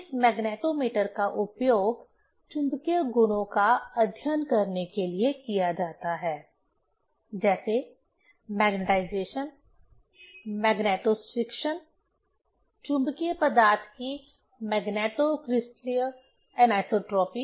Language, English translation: Hindi, This magnetometer is used to study the magnetic properties like, magnetization, magnetostriction, magneto crystalline anisotropy of magnetic material